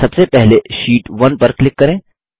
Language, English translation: Hindi, First, let us click on sheet 1